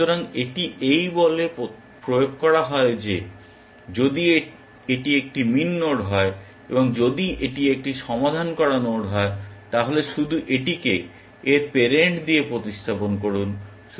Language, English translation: Bengali, So, this is implemented by saying that, if it is a min node and if it is a solved node then, just replace it with its parent